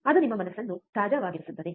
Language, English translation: Kannada, That will keep your mind a fresh, right